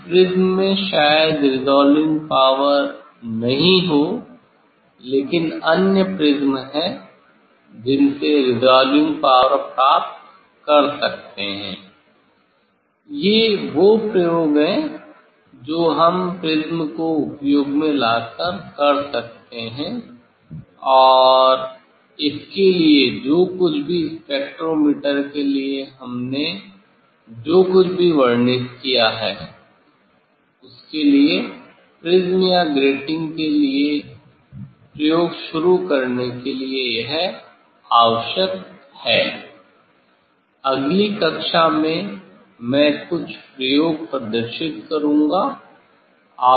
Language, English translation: Hindi, This prism may not have the resolving power, but there is other prism one can get the resolving power, these are the experiment using the prism we can do and for that whatever for spectrometer whatever we have described so for, this condition required for starting the experiment for the prism or for the grating, in next class, I will describe demonstrate some experiment